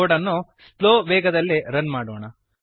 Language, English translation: Kannada, Lets Run the code in slow speed